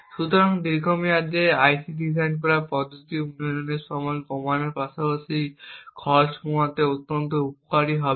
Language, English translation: Bengali, So, in the long run this methodology for designing ICs would be extremely beneficial to reduce development time as well as bring down cost